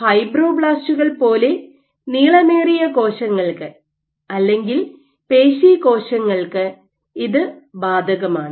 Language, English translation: Malayalam, This is applicable for cells which are elongated like fibroblasts or muscle cells